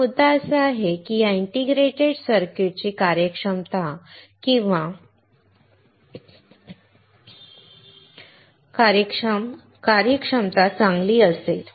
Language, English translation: Marathi, But the point is, that these integrated circuits will have a better performance or functional performance